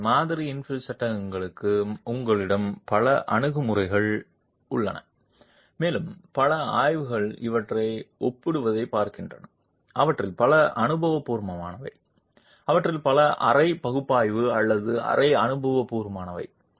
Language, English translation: Tamil, Hence, you have a number of approaches available to model infill panels and several studies look at comparing these, many of them are empirical, many of them are semi analytical or semi emperical